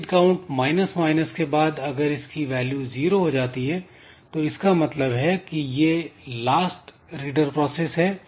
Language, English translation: Hindi, So, read count minus minus is done and if read count becomes equal to 0 that means there is no more reader process